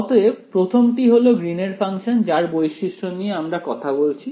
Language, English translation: Bengali, So, the first is the Green’s function we are talking about properties of the Green’s function